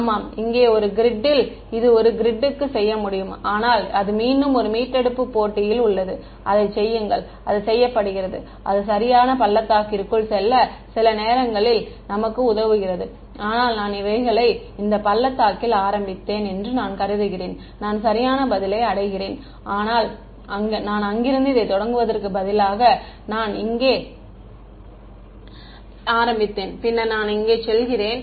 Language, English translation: Tamil, Yeah, one grid here to one grid there it can be done, but that is again in one retrieve match to do it and that is done and that is helps us sometimes to get into the right valley, but these valleys can be sensitive supposing I started in this valley I reach the correct answer, but if I started let us say instead of starting here I started over here and then I move my go here